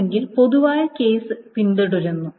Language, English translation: Malayalam, And otherwise the general case is a following